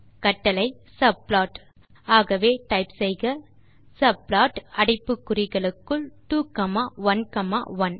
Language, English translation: Tamil, If we execute the subplot command as you can type on the terminal subplot within brackets 2 comma 1 comma 2